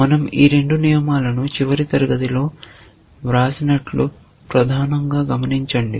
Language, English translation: Telugu, Mainly notice that we have written this two rules in the last class